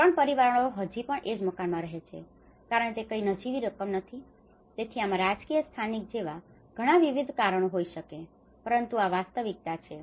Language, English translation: Gujarati, Three families still live in the same house because whatever the meager amount is not, so there might be many various reasons or political reasons or the local reasons, but this is the reality